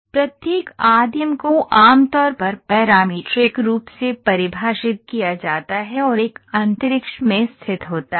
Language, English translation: Hindi, Each primitive is usually defined parametrically and located in a space